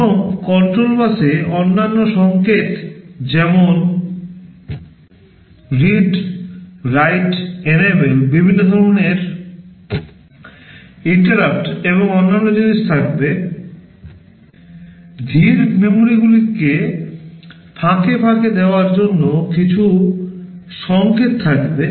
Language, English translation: Bengali, And the control bus will contain other signals like read, write, enable, different kinds of interrupts and other things, some signals for interfacing slow memories